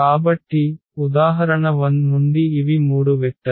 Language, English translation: Telugu, So, these were the three vectors from example 1